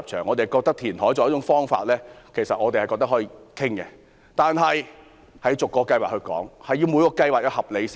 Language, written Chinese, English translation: Cantonese, 我們認為填海作為一種方法是可以討論的，但前提是要逐個計劃討論，而每個計劃都要合理。, We believe that reclamation as an option can be considered but the premise is that it should be considered on a case - by - case basis with reasonable grounds for each case